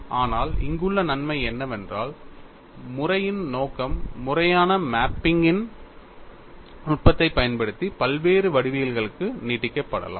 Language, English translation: Tamil, But the advantage here is the scope of the method can be extended to variety of geometries using the technique of conformal mapping